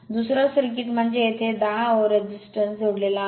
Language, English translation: Marathi, Second circuit is the, that a 10 over resistance is connected here